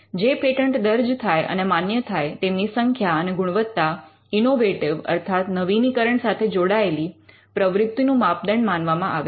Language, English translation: Gujarati, The quantity and quality of patents they file for and obtain are considered as the measure of innovative activity